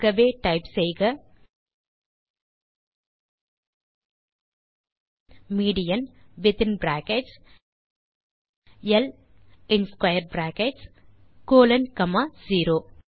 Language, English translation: Tamil, So type median within brackets L square brackets colon comma 0